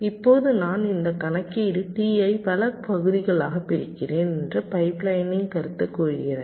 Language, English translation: Tamil, now the concept of pipe lining says that i am splitting this computation t into several parts